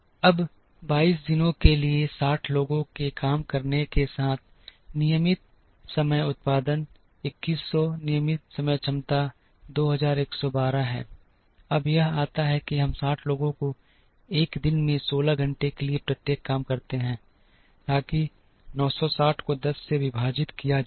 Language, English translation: Hindi, Now, with 60 people working for 22 days, the regular time production is 2100 regular time capacity is 2112, now this comes from we have 60 people each works for 16 hours in a day, so that is 960 divided by 10 is 96